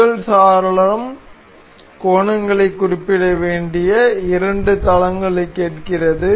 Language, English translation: Tamil, So, the first window ask the two planes that are to be for which the angles are to be specified